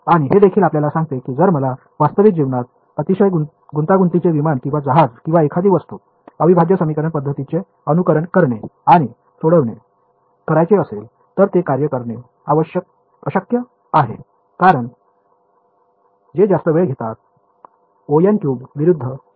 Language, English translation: Marathi, And, this also tells you that if I wanted to simulate and solve for a real life very complicated aircraft or ship or something, integral equation methods they are just impossible to work with because they take so, much time order n cube versus order n